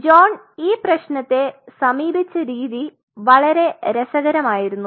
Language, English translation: Malayalam, So, the way John approached the problem was very interesting